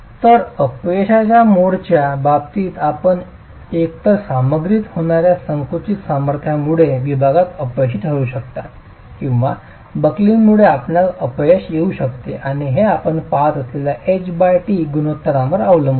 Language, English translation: Marathi, So, in terms of mode of failure, you can either have failure in the section due to the compressive strength of the material being reached or you could have failure due to buckling and that depends on the H